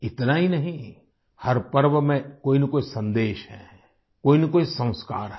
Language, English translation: Hindi, Not only this, there is an underlying message in every festival; there is a Sanskar as well